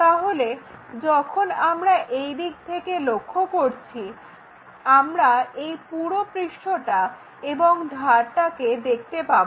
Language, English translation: Bengali, So, when we are looking from this direction this entire face we will be in a position to see and that edge we will see